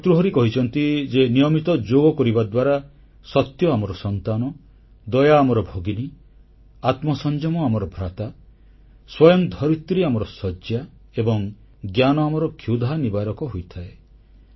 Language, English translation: Odia, Bhartahari has said that with regular yogic exercise, truth becomes our child, mercy becomes our sister, self restraint our brother, earth turns in to our bed and knowledge satiates our hunger